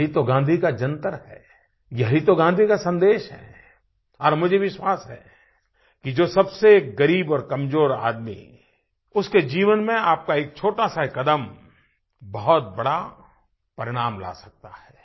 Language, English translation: Hindi, This is the mantra of Gandhiji, this is the message of Gandhiji and I firmly believe that a small step of yours can surely bring about a very big benefit in the life of the poorest and the most underprivileged person